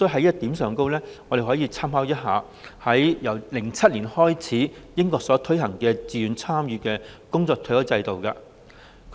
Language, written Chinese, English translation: Cantonese, 就此，我們可以參考英國由2007年開始推行、屬自願參與的工作場所退休金。, In this connection we can draw reference from the voluntary workplace pension implemented in the United Kingdom since 2007